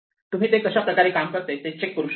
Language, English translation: Marathi, So, you can check that this works